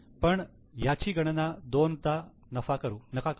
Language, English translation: Marathi, So, don't take it twice